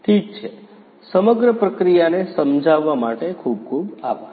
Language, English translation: Gujarati, Ok, thank you so much for explaining the entire process